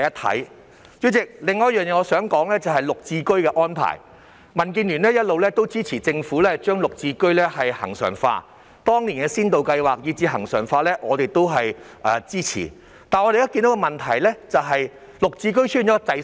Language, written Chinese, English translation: Cantonese, 代理主席，我想說的另一點是綠表置居計劃的安排，民建聯一直支持政府將綠置居恆常化，當年的先導計劃以至其恆常化，我們都支持，但我們現在看到的問題是綠置居滯銷。, Deputy President I want to raise another point concerning the Green Form Subsidized Home Ownership Scheme GSH . DAB has all along supported the Government to regularize GSH . We supported both the pilot scheme back then and its regularization